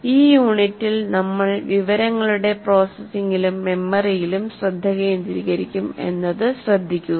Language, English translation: Malayalam, Particularly in this unit, we will be focusing on information processing and memory